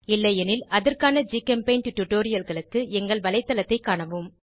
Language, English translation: Tamil, If not, for relevant GChemPaint tutorials, please visit our website